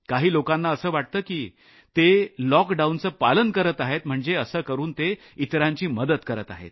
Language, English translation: Marathi, Some may feel that by complying with the lockdown, they are helping others